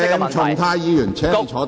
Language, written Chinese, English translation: Cantonese, 鄭松泰議員，請坐下。, Dr CHENG Chung - tai please sit down